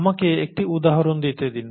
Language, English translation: Bengali, Let me give you an example